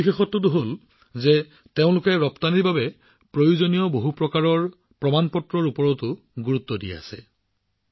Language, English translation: Assamese, The second feature is that they are also focusing on various certifications required for exports